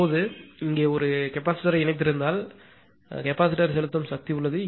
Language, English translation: Tamil, Now if if you have connected a capacitor here; there is capacitor injecting power